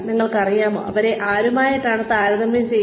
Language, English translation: Malayalam, You know, who are they been compared to